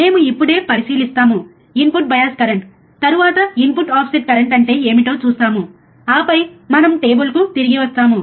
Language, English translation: Telugu, We will just consider, right now input bias current, then we will see what is input offset current, and then we will come back to the table, alright